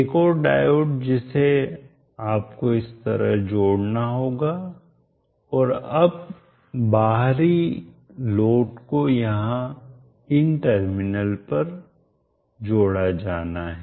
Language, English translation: Hindi, Another diode you need to add like this and the terminal now supposed to get connected to the external load will be here